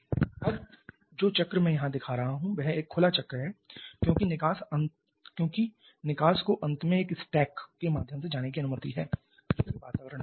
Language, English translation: Hindi, Now, the cycle that I am showing here that is open cycles because the exhaust is finally allowed to go through a stack go out to the surrounding